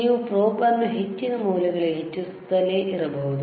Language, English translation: Kannada, And you can keep on increasing the this probe to higher values